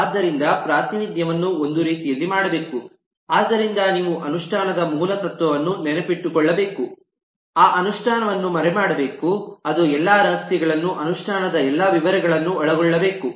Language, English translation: Kannada, so representation should be done in a way so that you remember the basic principle of the implementation that implementation must hide, it must encapsulate all the secret, all the details of the implementation couple of modules back